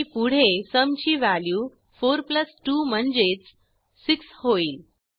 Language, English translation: Marathi, And the next value of sum will be 4+2 I.e 6